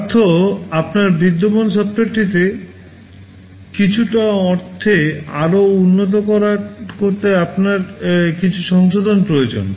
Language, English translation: Bengali, That means, you need some modifications to your existing software to make it better in some sense